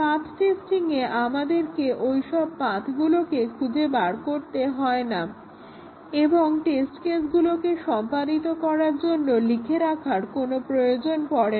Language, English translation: Bengali, A path testing does not require us to find those paths and write test cases to execute it